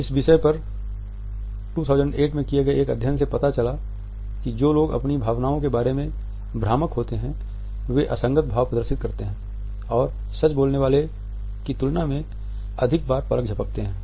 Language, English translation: Hindi, In 2008 study on the topic showed that people who are being deceptive about their emotions display inconsistent expressions and blink more often than those telling